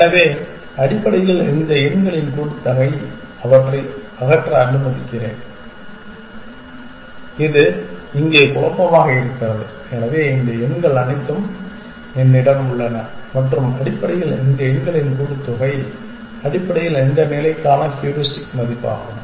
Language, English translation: Tamil, So, basically the sum of all these numbers, so let me remove them, it is confusing here, so I have all these numbers and basically the sum of all these numbers is the heuristic value for this state essentially